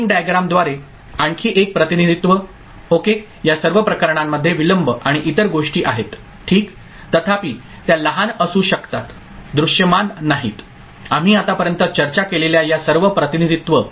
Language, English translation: Marathi, The another representation through timing diagram ok, in all these cases the delays and other things ok, however, small it might be, is not visible all this representations that we have discussed so far